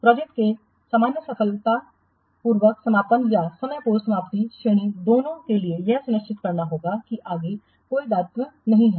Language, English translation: Hindi, For both the normal successful closure or the premature termination categories of the project, it has to ensure that there is no further obligations